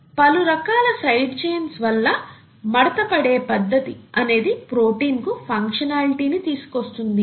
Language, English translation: Telugu, And this folding, the way it folds because of the various side chains and so on so forth, is what gives protein its functionality